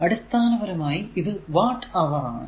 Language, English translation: Malayalam, So, basically it is watt hour